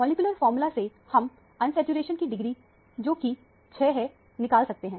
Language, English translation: Hindi, From the molecular formula, one can calculate the degree of unsaturation to be 6